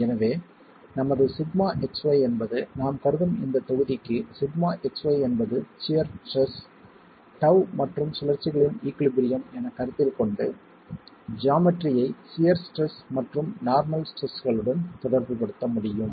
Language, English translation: Tamil, So, our sigma xy is the, for this block that we are assuming, sigma xy is the shear stress tau and considering equilibrium of rotations, it's possible to relate the geometry to the shear stress and the geometry, the shear stress and the normal stresses